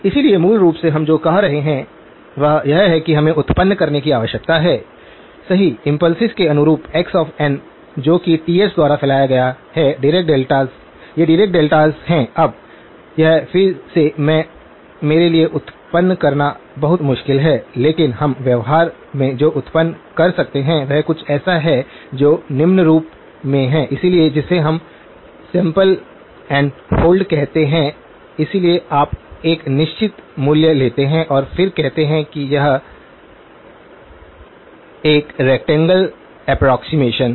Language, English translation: Hindi, So, basically what we are saying is this is what we need to generate right, corresponding to the impulses x of n, dirac deltas which are spaced by Ts, these are dirac deltas, now this again I; very difficult for me to generate, but what we can generate in practice is something which is of the following form, so what we call as a sample and hold, so you take a certain value and then say okay it is a rectangle approximation